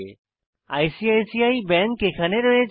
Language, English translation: Bengali, So ICICI bank is listed